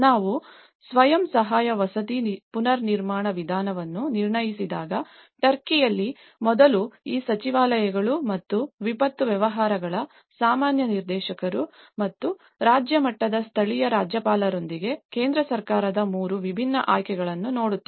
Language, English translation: Kannada, When we assess the self help housing reconstruction method, we see that in Turkey first of all the central government which these ministries and the general director of disaster affairs and with the local governor of the state level, they look at the 3 different options